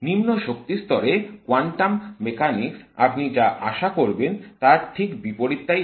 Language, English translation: Bengali, The quantum mechanics at the low energy level gives you the exact opposite of what one would expect